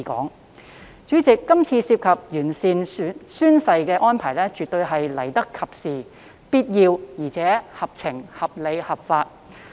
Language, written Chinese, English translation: Cantonese, 代理主席，《條例草案》中完善宣誓規定等安排，絕對是來得及時、必要，而且合情、合理、合法。, Deputy President it is absolutely timely and necessary to introduce the Bill to improve among others the oath - taking requirement . It is also sensible reasonable and lawful